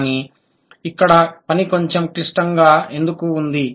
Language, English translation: Telugu, So, why the task is a little complicated here